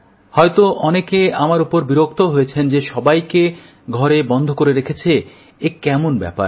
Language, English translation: Bengali, It is possible that many are annoyed with me for their confinement in their homes